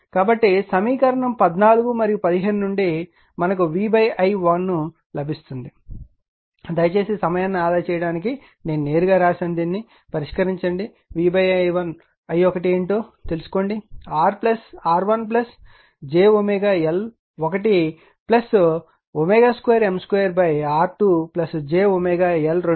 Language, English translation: Telugu, So, from equation 14 and your 15 we get V upon R 1, you please solve this one right I have written directly to save time you please find out what is v upon i 1